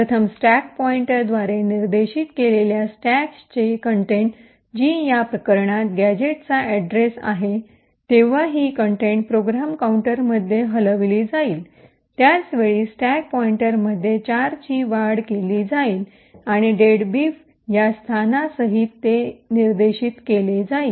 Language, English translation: Marathi, First, the contents of the stack pointed to by the stack pointer which in this case is gadget address, this contents would get moved into the program counter, at the same time the stack pointer would be incremented by 4 and would point to this location comprising of deadbeef